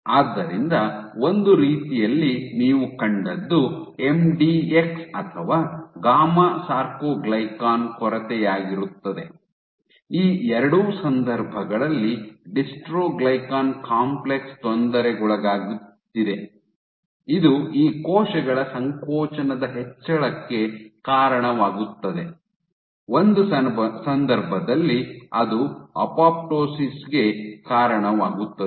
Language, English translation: Kannada, So, in a sense what you saw is your MDX or gamma soarcoglycan deficient in both these cases your dystroglycan complex is being perturbed which leads to a contractile increase in contractility of these cells, in one case it leads to apoptosis